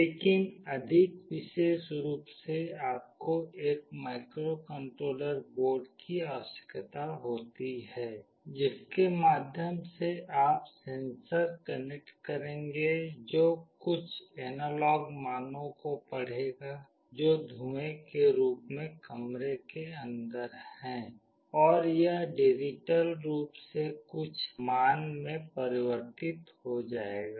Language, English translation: Hindi, But more specifically you need a microcontroller board through which you will be connecting a sensor that will read some analog values, which is in terms of smoke inside the room, and it will convert digitally to some value